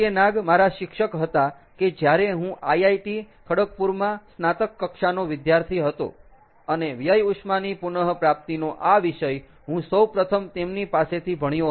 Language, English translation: Gujarati, professor pk nag was my ah teacher when i was a bachelor student at iit kharagpur, and this topic of waste heat recovery i first learned from him